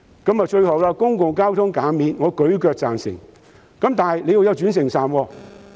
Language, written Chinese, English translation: Cantonese, 最後，對於公共交通費減免，我十分贊成，但必須有轉乘站。, Lastly I fully support reduction or waiver of public transport fares but interchange stations must be available